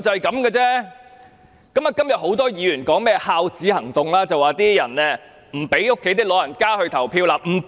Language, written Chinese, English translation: Cantonese, 今天很多議員說甚麼"孝子行動"，說有些人不讓家中長者投票。, Today many Members talk about the Operation Filial Son as they call it . They say that some people try to prevent their elderly family members from voting